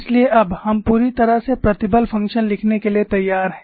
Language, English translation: Hindi, So, now, we are ready to write the stress function completely